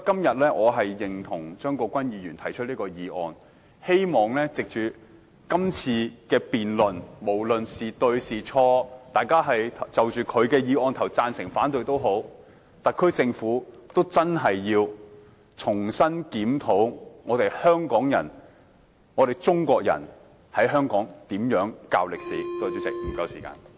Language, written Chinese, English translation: Cantonese, 因此，我贊同張國鈞議員提出的議案，希望藉着今次的辯論，無論誰對誰錯，大家贊成或反對張議員的議案都好，特區政府均應重新檢討香港人、中國人在香港怎樣教授歷史。, Hence I agree to the motion proposed by Mr CHEUNG Kwok - kwan . I hope that through this debate no matter who is right and who is not and whether we support his motion or otherwise the SAR Government will re - examine and review how the people of Hong Kong the Chinese people should teach Chinese History in Hong Kong